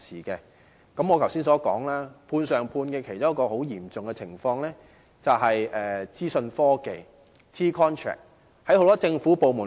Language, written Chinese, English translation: Cantonese, 正如我剛才所說，"判上判"的情況在資訊科技的 T-contract 中尤為嚴重。, As I said just now the situation of subcontracting is especially serious in respect of T - contracts for IT services